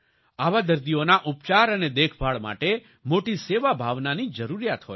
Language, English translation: Gujarati, The treatment and care of such patients require great sense of service